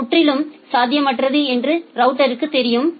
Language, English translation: Tamil, And the router knows that it is totally impossible